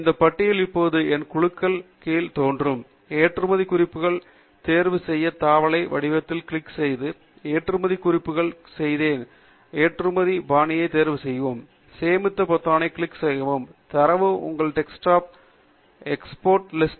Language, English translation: Tamil, And this list will now appear under My Groups; click on the tab format to choose Export References; under Export References choose the new group of references you have just made; choose Export Style to BibTeX export, click on the Save button to have the data reach your desktop as a text file called exportlist